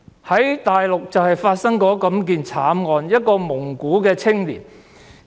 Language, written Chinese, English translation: Cantonese, 在內地曾經發生這樣的慘案，一名蒙古青年......, A tragic incident happened in the Mainland in which a Mongolian young man